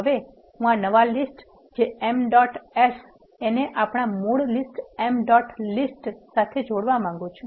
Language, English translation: Gujarati, Now, I want to concatenate this new list that is m dot ages with the original list which is emp dot list